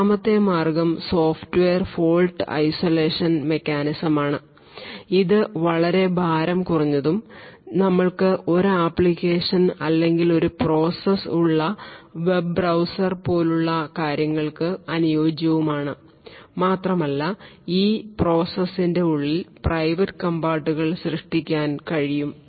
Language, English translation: Malayalam, The second way is the Software Fault Isolation mechanism which is far more lightweight and suitable for things like the web browser where we have one application or one process and we are able to create fault domains within that particular process which are secluded compartments within that process